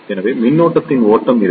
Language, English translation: Tamil, So, there will be flow of current